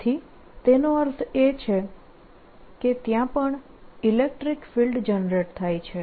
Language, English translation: Gujarati, so that means electrical generator there also